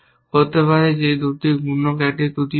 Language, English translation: Bengali, Is this multiplier for faulty